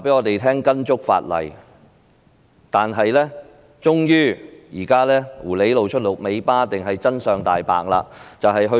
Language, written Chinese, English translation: Cantonese, 可是，現在狐狸終於露出了尾巴，又或者說真相大白了。, But now it has finally betrayed itself or to put it another way the truth has come to light